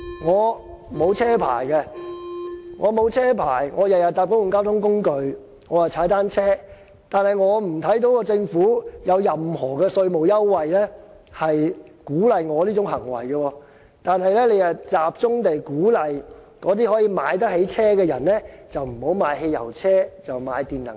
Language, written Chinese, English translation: Cantonese, 我沒有駕駛執照，以致我每天都乘搭公共交通工具及踏單車，我看不到政府有任何稅務優惠鼓勵我的這種行為，但它卻集中鼓勵可以買得起私家車的人不要買汽油車，而轉買電能車。, I do not have a driving licence so I have to take public transport or commute by bicycles . But I cannot find any government tax incentives to encourage me to do so . Instead the Government mainly provides incentives to tempt people who afford to buy privates cars to go for EVs